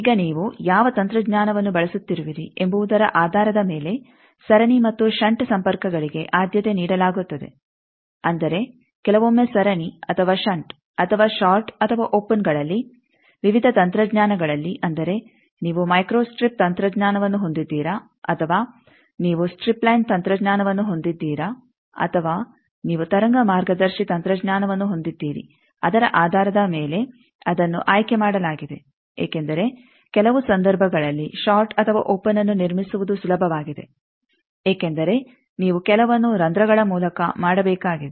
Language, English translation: Kannada, Now, depending on which technology you are using, the series and shunt connections they are preferred like in sometimes series or shunt or short or open in various technologies like whether you are having micro strip technology, or you are having strip line technology or you are having wave guide technology, based on that it is chosen because in some cases fabricating a short or open is easier because you will have to make some not through via holes are needed